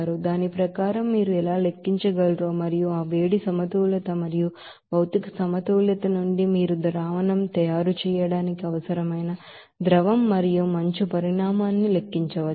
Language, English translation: Telugu, Accordingly, what will be the amount of heat is required that you how you can calculate and also from that heat balance and material balance you can calculate what will be the amount of liquid and also ice required for the making of solution